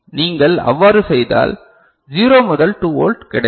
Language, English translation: Tamil, And if you do that, you will get 0 to 2 volt